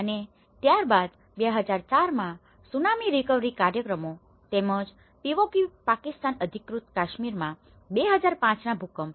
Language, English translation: Gujarati, And then the Tsunami recovery programs in 2004 Tsunami and as well as 2005 earthquake in Kashmir in the Pewaukee Pakistan Occupied Kashmir